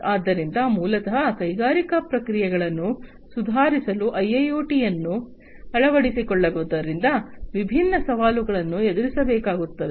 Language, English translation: Kannada, So, basically adoption of IIoT for improving industrial processes, different challenges are going to be faced